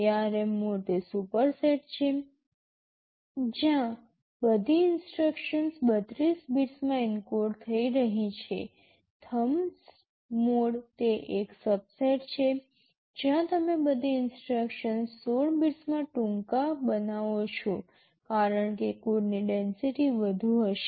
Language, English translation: Gujarati, ARM mode is a superset where all instruction are encoding in 32 bits, Thumb mode is a subset of that where you make all the instructions shorter in 16 bits because of which code density will be higher